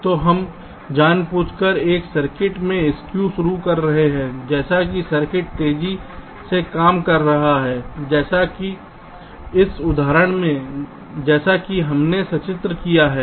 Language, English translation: Hindi, so we are deliberately introducing skew in a circuit such that the circuit can work faster, like in this example